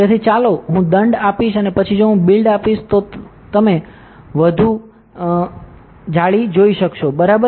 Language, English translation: Gujarati, So, let me give finer and then if I give build all you will see a more dense meshing, correct